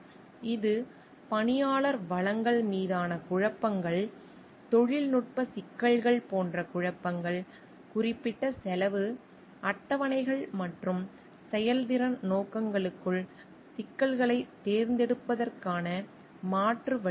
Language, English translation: Tamil, It will could be conflicts over personnel resources also, conflicts over technical issues like, alternative ways of solving problems within particular cost schedules and performance objectives